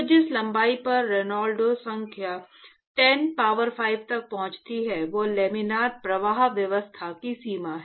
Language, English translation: Hindi, So, the length at which the Reynolds number reaches 10 power 5 is actually the limit for Laminar flow regime